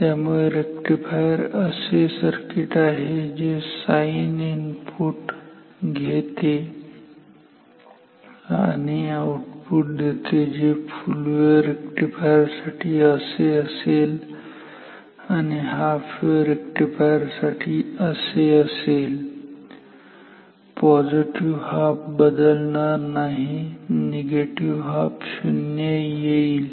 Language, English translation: Marathi, So, rectifier is a circuit which takes sinusoidal input and gives output which is like this for full wave rectifier and for half wave rectifier it will be like this; positive halves will remain unchanged, negative halves will become 0